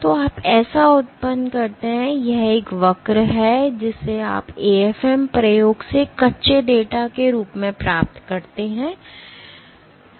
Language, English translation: Hindi, So, you generate so, this is a curve that you get as raw data from an AFM experiment